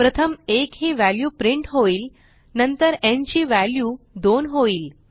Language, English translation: Marathi, First, the value 1 is printed and then n becomes 2